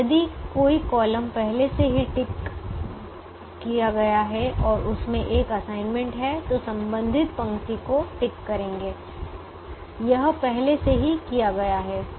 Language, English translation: Hindi, if a column is already ticked and it has an assignment, then tick the corresponding row